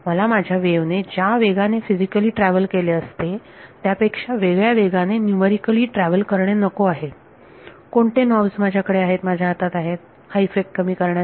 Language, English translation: Marathi, I do not want my wave to be numerically travelling at a speed different from what it should physically travelled, what knobs do I have in my hand to reduce this effect